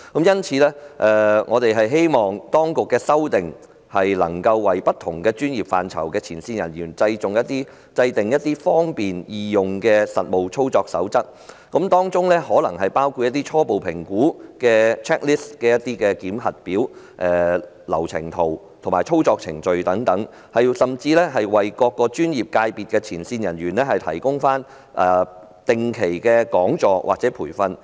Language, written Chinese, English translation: Cantonese, 因此，我們希望當局能作出修訂，為不同專業範疇的前線人員制訂一份方便易用的實務操作手冊，例如提供初步評估檢核表、流程圖及操作程序等，甚至為各專業界別的前線人員提供定期講座或培訓。, Therefore we hope that the Government would revise the guidelines and draw up a simple and user - friendly code of practice for frontline personnel in different professional aspects respectively . For example consideration can be given to providing a checklist for initial assessment a flow chart and information on the operating procedures as well as organizing regular seminar series or training programmes for frontline personnel in various professional sectors